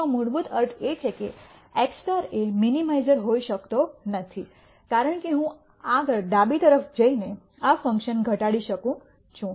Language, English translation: Gujarati, That basically means that x star cannot be a minimizer because I can further reduce this function by going to the left